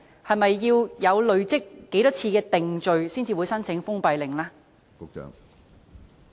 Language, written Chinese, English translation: Cantonese, 是否要累積某一次數的定罪紀錄才會申請封閉令呢？, Will it apply for a closure order only after the number of convictions has reached a certain figure?